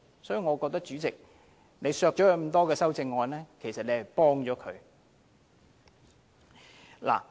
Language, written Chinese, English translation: Cantonese, 所以，我認為主席削走他這麼多項修正案，其實是幫了他。, Therefore I think that by removing so many amendments proposed by him the President has actually given him a helping hand